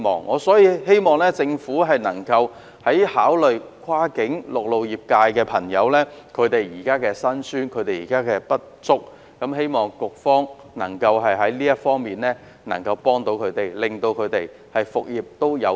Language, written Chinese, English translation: Cantonese, 我希望政府能夠考慮跨境陸路客運業現時的辛酸和不足之處，並希望局方能夠在這方面協助他們，讓他們復業有望。, I hope the Government will consider the prevailing hardships and insufficiencies faced by the land - based cross - boundary passenger service sector and I hope that the Bureau can offer them assistance in this regard bringing them hope for business resumption